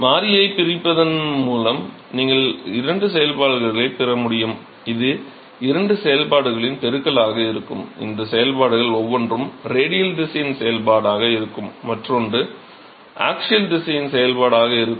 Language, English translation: Tamil, So, it is by separation of variable you should be able to get a 2 functions, it will be a product of 2 functions will each of these functions will be one will be function of the radial direction one will be function of the axial direction